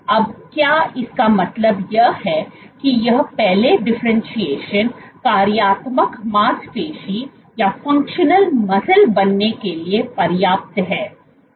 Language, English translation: Hindi, Now, does this mean that this earlier differentiation is enough to become functional muscle